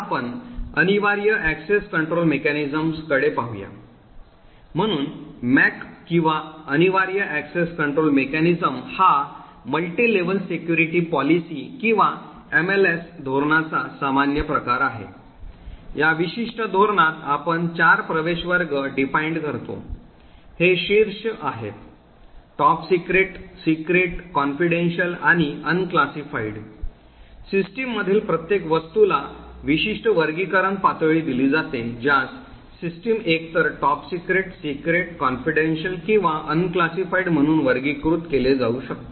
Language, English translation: Marathi, We will now look at the mandatory access control mechanism, so the MAC or the mandatory access control mechanism is the most common form of a multi level security policy or an MLS policy, in this particular policy we define four access classes, these are top secret, secret, confidential and unclassified, every object in the system is given a particular classification level that is an object the system could be either classified as top secret, secret, confidential or unclassified